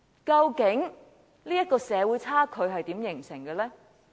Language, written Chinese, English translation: Cantonese, 究竟這種社會差距是如何形成的呢？, How did this type of social gap come into being?